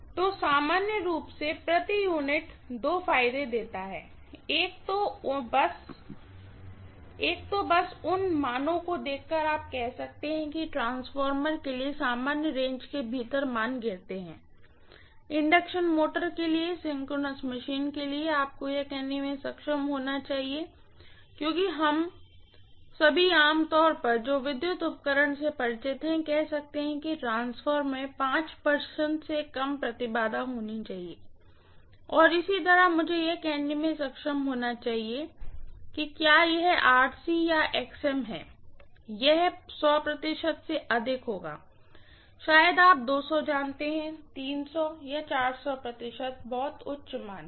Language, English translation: Hindi, So in general per unit gives two advantages, one is just by observing the values you can say whether the values kind of fall within the normal range for a transformer, for an induction motor, for a synchronous machine, you should be able to say that because all of us generally, who are familiar with electrical apparatus can say transformer should have impedances less than 5 percent and similarly I should be able to say if it is RC or XM, it will be even more than 100 percent, maybe you know 200, 300, 400 percent very high values